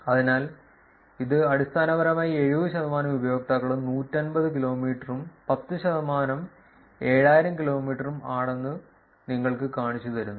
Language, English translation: Malayalam, So, this is basically showing you that 70 percent of the users are about 150 kilometers and the 10 percent is about the 7000 kilometers that is what you will see in this figure